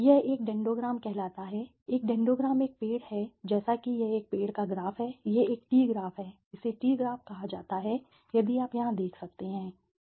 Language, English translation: Hindi, This is something called a dendogram, a dendogram is a tree like structure it is a tree graph it is called tree graph if you can see here, tree graph right